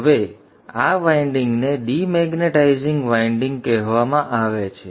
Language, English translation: Gujarati, And you see here the demagnitizing winding